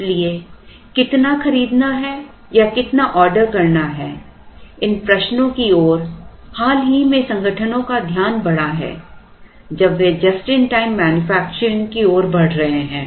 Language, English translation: Hindi, So, the question of how much to buy or how much to order came about more recently organizations have moved towards just in time manufacturing